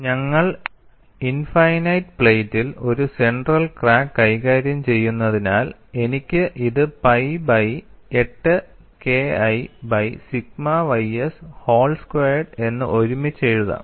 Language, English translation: Malayalam, Since we are handling a center crack in an infinite plate, I can bundle this and write this as pi by 8 K 1 by sigma ys whole square